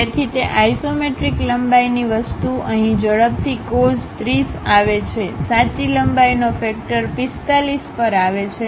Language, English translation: Gujarati, So, that isometric length thing comes faster cos 30 here; the true length factor comes at 45